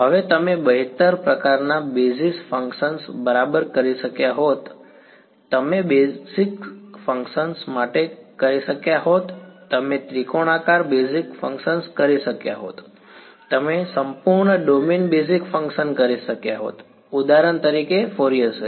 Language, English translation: Gujarati, Now you could have done better kind of basis functions right, you could have done for basis functions you could have done triangular basis functions, you could have done entire domain basis functions for example, Fourier series